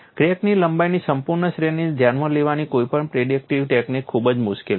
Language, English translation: Gujarati, Any predictive technique to address the full range of crack lengths is very very difficult